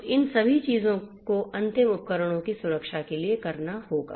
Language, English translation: Hindi, So, all of these things will have to be done in order to protect the end devices